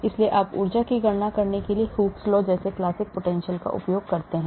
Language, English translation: Hindi, so you use classical potentials like Hooke’s law for calculating energy